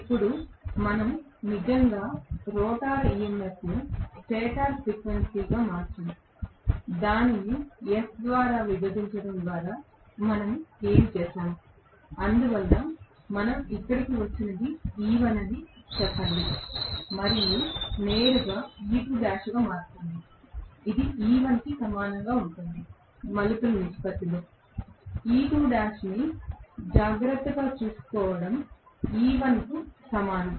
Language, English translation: Telugu, Now, we have actually converted the rotor EMF also into stator frequency that is what we did by dividing it by S, so because of which what we got here let us say was E1 and this become directly E2 dash, which was also equal to E1 because of the turns ratio, that having being taken care of E2 dash will be equal to E1